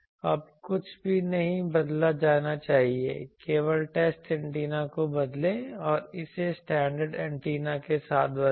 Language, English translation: Hindi, Now, nothing should be changed only change the test antenna and replace it with a standard antenna